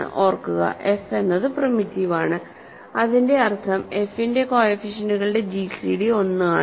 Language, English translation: Malayalam, Remember, we are given that f is primitive that means, the gcd of the coefficients of f is 1